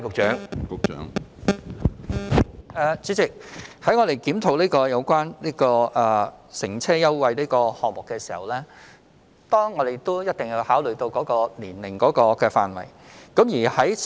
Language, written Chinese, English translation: Cantonese, 主席，在檢討有關乘車優惠計劃的時候，我們一定要考慮年齡範圍。, President we must consider the age range when we review the transport fare concession scheme